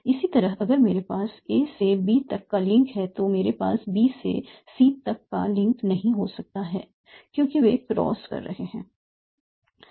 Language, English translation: Hindi, Similarly, I have a link from A to B, I cannot have a link from B to C because they are crossing now